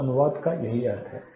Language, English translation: Hindi, So, this is what the translation means